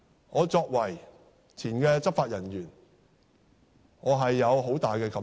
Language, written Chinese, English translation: Cantonese, 我作為前執法人員，有很大感受。, As a former law enforcement officer myself immense feelings have welled up in me